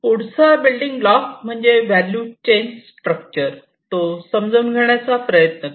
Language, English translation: Marathi, So, next one is basically the value chain structure that is the third building block that we should try to understand